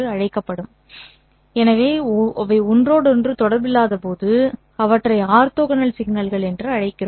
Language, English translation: Tamil, So when they are uncorrelated we call them as orthogonal signals